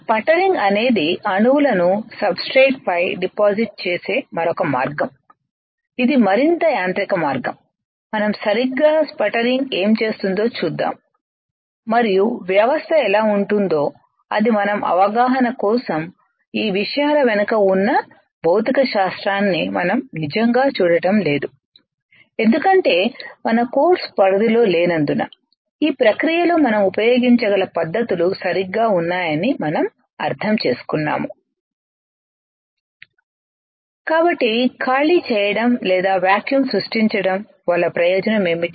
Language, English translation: Telugu, Sputtering is another way of depositing the atoms on the substrate, it is a more of mechanical way we will see what exactly is sputtering does and how the system looks like that is our understanding this we are not really looking at the physics behind how these things are done alright, because there is not scope of our course scope is that we understand that these are the techniques that we can use in the process alright